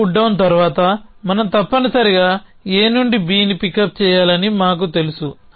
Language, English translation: Telugu, Then we know that after putdown C we must have pick up B from A